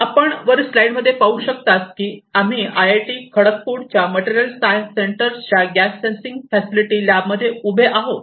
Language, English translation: Marathi, We are actually right now in the gas sensing facility lab of the Material Science Centre of IIT Kharagpur